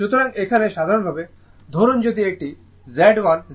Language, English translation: Bengali, So, here suppose in general if it is Z1, Z2, Z3